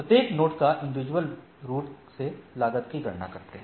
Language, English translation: Hindi, So, each node individually computes the cost